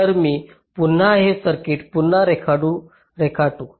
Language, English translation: Marathi, so here let me just redraw this circuit again